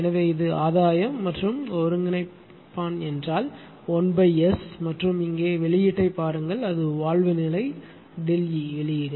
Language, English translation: Tamil, So, this is the gain and integrator means 1 upon S and look output here it is delta E output of the valve position delta E